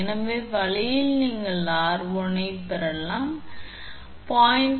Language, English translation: Tamil, So, this way your you can get r1 is equal to 0